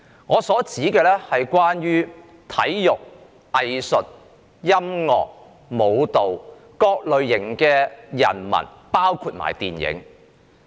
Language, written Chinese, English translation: Cantonese, 我指的是體育、藝術、音樂、舞蹈及電影等人文行業的從業員。, I am referring to those engaging in humanities industries such as sports arts music dance and film